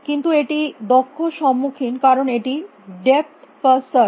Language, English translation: Bengali, But, it is faced efficient because it is depth first search